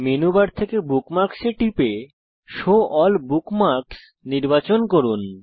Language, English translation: Bengali, From Menu bar, click on Bookmarks and select Show All Bookmarks